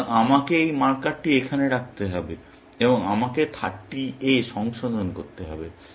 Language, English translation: Bengali, So, I have to put this marker here, and I have to revise it to 30